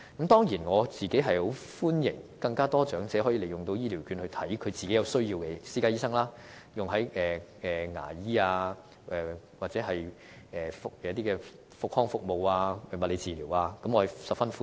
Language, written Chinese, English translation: Cantonese, 當然，我個人是歡迎有更多長者，可以利用醫療券到其有需要的私家醫生處求診，例如牙醫、復康服務及物理治療等，我是十分歡迎的。, Of course personally I welcome that more elderly persons can use these vouchers for consulting private practitioners as necessary such as receiving dental rehabilitation and physiotherapy treatments and so on . I greatly welcome this